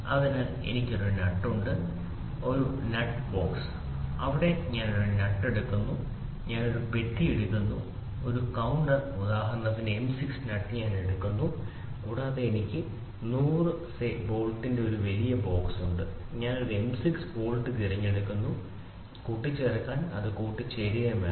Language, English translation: Malayalam, So, I have a nut a box of nut is there I pick one nut I take a box a counter say for example, M 6 nut I take and I have a big box of 1000s bolt I pick one M 6 bolt I should just try to mate it, it should assemble